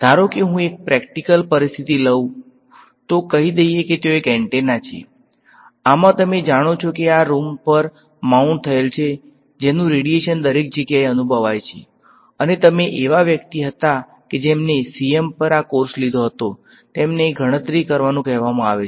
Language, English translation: Gujarati, Supposing I take a practical situation let us say there is an antenna, in this you know mounted on this room that is radiating feels everywhere; and you was someone who was taken this course on CM is asked to calculate what are the fields